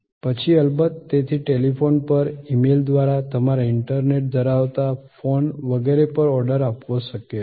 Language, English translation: Gujarati, Then, of course, therefore it is possible to place an order on telephone, through email, through your internet enabled phone and so on